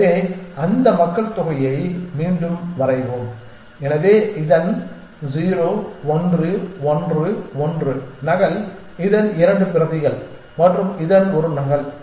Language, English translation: Tamil, So, let us redraw that population so 0 1 1 1 copy of this 2 copies of this and one copy of this